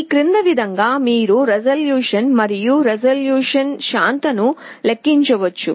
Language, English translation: Telugu, In this way you can calculate resolution and percentage resolution